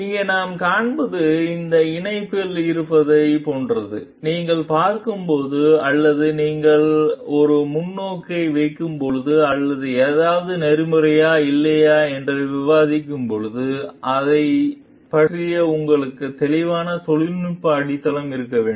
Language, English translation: Tamil, What we find over here is like it is in this connection like when you are seeing like when you have putting a perspective or discussing whether something is ethical or not, you should have a clear technical foundation about it